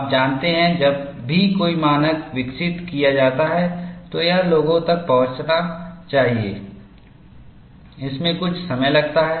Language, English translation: Hindi, You know, whenever a standard is developed, for it to percolate down to people, it takes some time